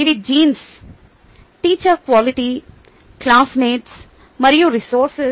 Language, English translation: Telugu, these are genes, teacher quality, classmates and resources